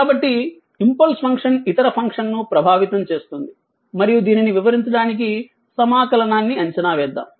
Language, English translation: Telugu, So, impulse function affects other function and to illustrate this, let us evaluate the integral